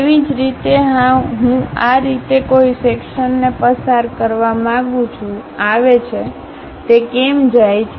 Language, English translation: Gujarati, Similarly, I would like to pass a section in this way, comes goes; how it goes